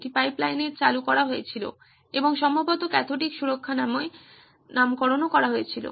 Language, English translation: Bengali, It was introduced in pipelines and probably branded as cathodic protection